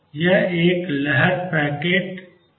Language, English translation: Hindi, This is a wave packet